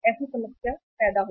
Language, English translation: Hindi, So that creates the problem